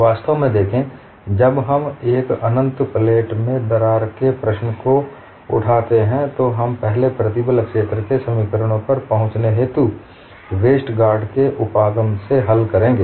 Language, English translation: Hindi, See in fact, when we take up the problem of a crack in an infinite plate, we would first solve by Westergaard’s approach, in arriving at the stress field equations